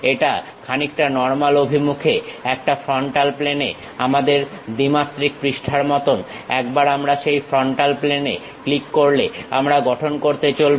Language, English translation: Bengali, This is more like our 2 dimensional page on frontal plane in the normal direction, once I click that frontal plane we are going to construct